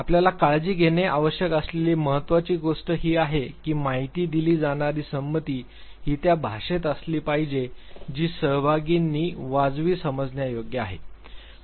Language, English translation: Marathi, Important thing that you have to take care is the fact that informed consent should actually be in the language that is reasonably as understandable by the participants